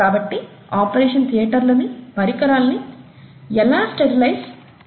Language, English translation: Telugu, How is an operation theatre sterilized